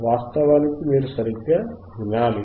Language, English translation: Telugu, oOff course you have to listen right